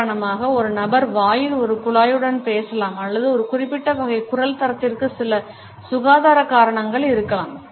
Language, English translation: Tamil, For example, an individual might be speaking with a pipe in mouth or there may be certain health reasons for a particular type of voice quality